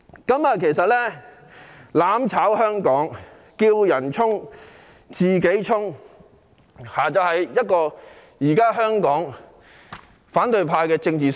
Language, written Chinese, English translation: Cantonese, 他們要"攬炒"香港，"叫人衝，自己鬆"，正是現時反對派的政治生態。, They want mutual destruction in Hong Kong . The political ecology of the opposition camp is to urge others to charge forward but flinch from doing so themselves